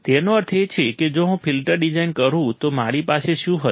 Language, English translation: Gujarati, That means, that if I design a filter then what will I have